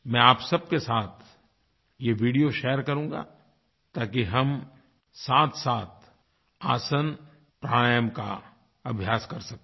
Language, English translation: Hindi, I will share these videos with you so that we may do aasans and pranayam together